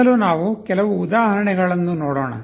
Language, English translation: Kannada, First let us look at some examples